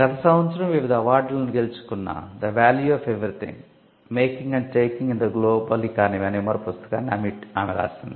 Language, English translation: Telugu, She has also recently written another book called the value of everything making and taking in the global economy, which is been shortlisted and which has won various awards last year